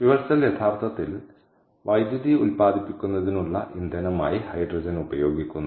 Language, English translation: Malayalam, so fuel cell actually uses hydrogen, as i said, as an energy source